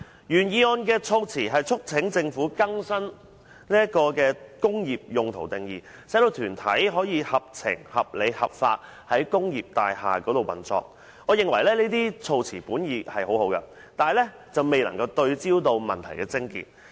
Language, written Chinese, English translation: Cantonese, 原議案促請政府"更新'工業大廈用途'的定義"，使團體"可合情、合理、合法於工業大廈運作"，我認為這些措辭本意良好，但未能對準問題癥結。, The original motion urges the Government to update the definition of use of industrial buildings so that arts groups can operate in industrial buildings in a sensible reasonable and lawful manner . I hold that the wordings are well - intentioned but out of focus